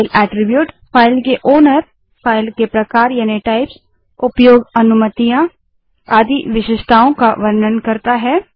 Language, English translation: Hindi, File attribute is the characteristics that describe a file, such as owner, file type, access permissions, etc